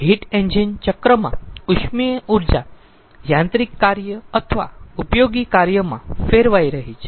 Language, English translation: Gujarati, so heat engine cycle, thermal energy is getting converted into mechanical work or useful work